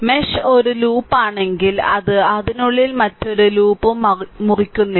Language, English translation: Malayalam, If mesh is a loop it does not cut any other loop within it right